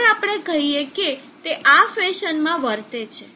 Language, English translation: Gujarati, Now let us say it behaves in this fashion